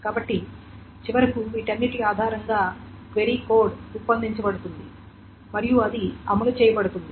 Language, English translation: Telugu, So, and based on all of this, finally the query code is generated and that is being executed